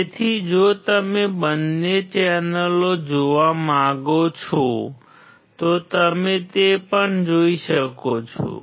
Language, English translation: Gujarati, So, if you want to see both the channels you can see that as well